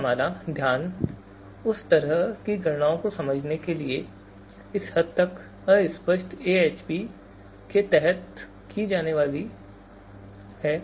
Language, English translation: Hindi, Right now, focus is to understand the kind of computations that are, that are going to be performed under extent fuzzy AHP